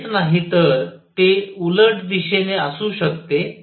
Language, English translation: Marathi, Not only that it could be in the opposite direction